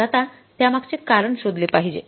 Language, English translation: Marathi, So, now we have to find out the reason for that